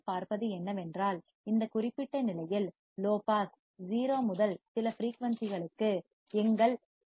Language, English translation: Tamil, You can see here in this particular condition low pass from 0 to certain frequency that is our fc, it will pass the frequencies